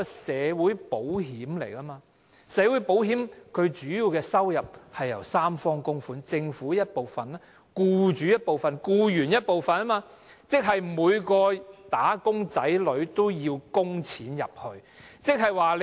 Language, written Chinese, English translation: Cantonese, 社會保險的主要收入是由三方供款而來，即政府、僱主及僱員，即每個"打工仔女"都要供款。, The income of this social security system will mainly originate from contributions made by three sides namely the Government employers and employees . This means that every wage earner will be required to make contributions